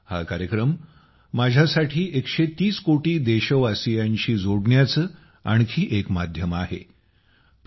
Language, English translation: Marathi, This programmme is another medium for me to connect with a 130 crore countrymen